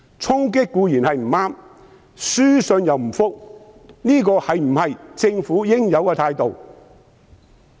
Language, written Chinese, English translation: Cantonese, 衝擊固然不對，但書信又不回覆，這是否政府應有的態度？, Acts of storming are of course wrong but they do not reply to our correspondence either is this the proper attitude of the Government?